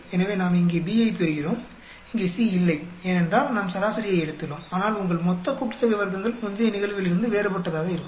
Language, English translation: Tamil, So, we get B here, here there is no C; because we have taken averaged out, but your total sum of squares will be different from the previous case